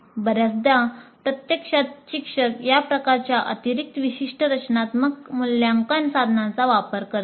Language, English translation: Marathi, Now quite often actually teachers use these kind of additional specific formative assessment instruments